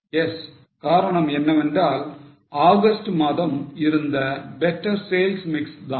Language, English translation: Tamil, Yes, the reasoning is because of better sales mix in the month of August